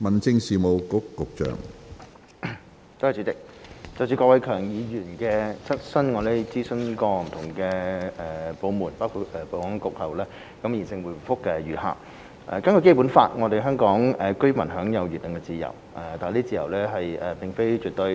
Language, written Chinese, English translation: Cantonese, 主席，就郭偉强議員的質詢，我們經諮詢不同部門包括保安局後，現答覆如下：根據《基本法》，香港居民享有言論自由，但這自由並非絕對。, President having consulted various departments including the Security Bureau our reply to Mr KWOK Wai - keung is as follows Hong Kong residents enjoy the freedom of speech under the Basic Law but that freedom is not absolute